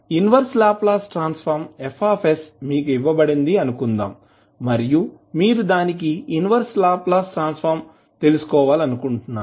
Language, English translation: Telugu, Suppose, the inverse Laplace transform Fs is given to you and you want to find out its inverse Laplace transform